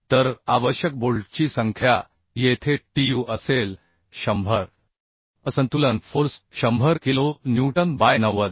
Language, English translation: Marathi, 6 kilonewton So number of bolts required will be Tu here will be 100 unbalanced force is 100 kilonewton by 90